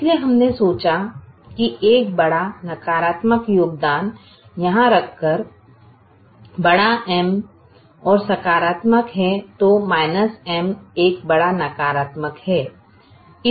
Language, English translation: Hindi, so we thought that by putting a large negative contribution here, big m is a large positive, so minus is a, a large negative